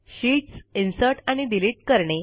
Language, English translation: Marathi, Inserting and Deleting sheets